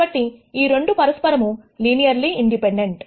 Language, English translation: Telugu, So, these 2 are linearly independent of each other